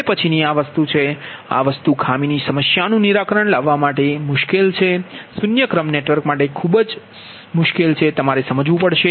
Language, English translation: Gujarati, now next one is this thing, this thing you have to understand, otherwise difficult to solve, fault problem and difficult for the zero sequence network